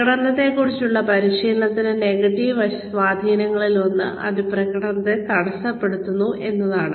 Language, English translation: Malayalam, One of the negative impacts of, training on performance is that, it hampers performance